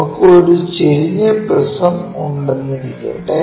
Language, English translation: Malayalam, So, instead of having this one let us have a inclined prism